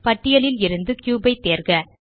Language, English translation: Tamil, Select cube from the list